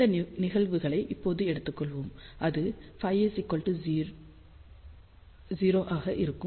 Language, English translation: Tamil, So, let us take these cases now and that is when phi is equal to 0